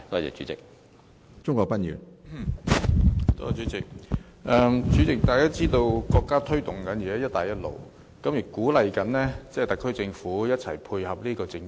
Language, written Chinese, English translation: Cantonese, 主席，大家知道國家現在推動"一帶一路"，亦鼓勵特區政府配合這政策。, President everyone knows that the country is now launching the Belt and Road Initiative and it also encourages the SAR Government to support this policy